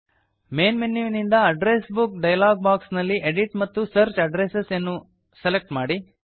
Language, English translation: Kannada, From the Main menu in the Address Book dialog box, select Edit and Search Addresses